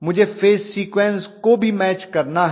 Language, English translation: Hindi, I have to match the phase sequence as well